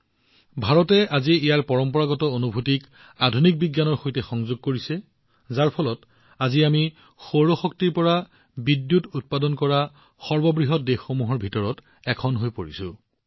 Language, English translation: Assamese, Today, India is combining its traditional experiences with modern science, that is why, today, we have become one of the largest countries to generate electricity from solar energy